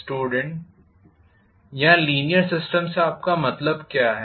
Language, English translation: Hindi, What do you mean by linear system here